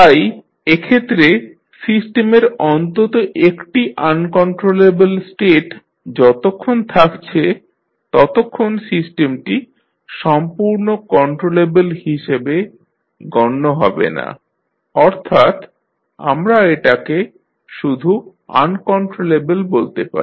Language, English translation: Bengali, So in that case, the as long as there is at least one uncontrollable state the system is said to be not completely controllable or we just call it as uncontrollable